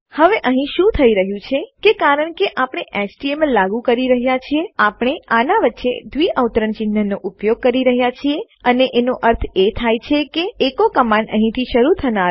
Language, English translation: Gujarati, Now whats really happening here is that because we are embedding the html, we are using double quotes in between and this means that the echo command would be read as starting here and ending here